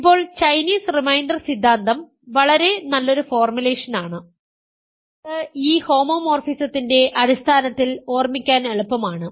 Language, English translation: Malayalam, Now, Chinese reminder theorem is a very nice formulation which is easy to remember in terms of this homomorphism